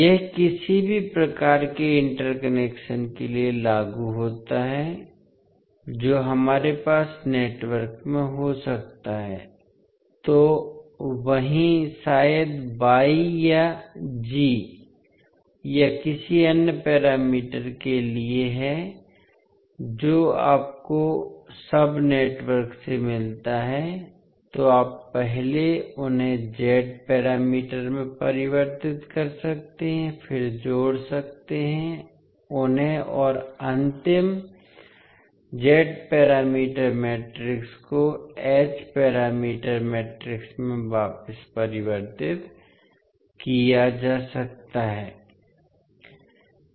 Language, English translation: Hindi, So this is applicable for any type of interconnection which we may have in the network, so the same is for maybe Y or G or any other parameter which you get from the sub networks, so you can first convert them into the Z parameters, then add them and the final Z parameter matrix can be converted back into H parameters matrix